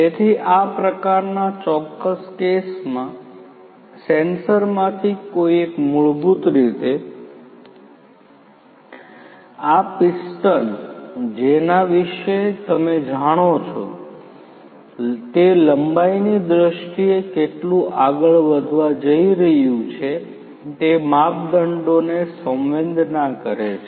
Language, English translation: Gujarati, So, in this particular case one of the sensors is it, it basically senses the measurements in terms of how much length this particular you know this piston is going to move for